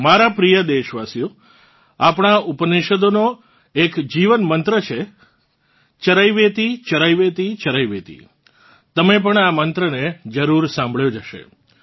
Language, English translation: Gujarati, My dear countrymen, our Upanishads mention about a life mantra 'CharaivetiCharaivetiCharaiveti' you must have heard this mantra too